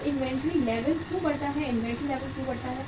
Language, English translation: Hindi, Now why inventory level increases, why inventory level increases